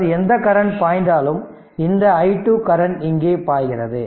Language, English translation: Tamil, Now part from part of the current i 1 i 2 is flowing like this